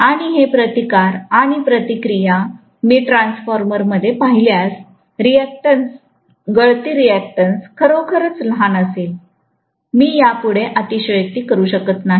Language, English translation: Marathi, And these resistances and reactance’s if I look at it in a transformer, the reactance, the leakage reactance will be really really really really small, I can’t exaggerate this further, okay